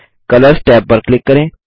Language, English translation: Hindi, Lets click on the Colors tab